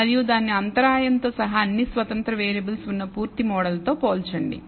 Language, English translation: Telugu, And compare it with the full model which contains all of the independent variables including the intercept